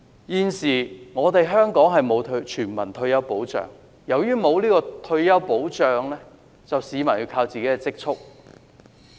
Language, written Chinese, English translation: Cantonese, 現時香港並無全民退休保障，由於沒有退休保障，市民便要靠積蓄。, There is now no universal retirement protection in Hong Kong . People have to rely on their savings at their old age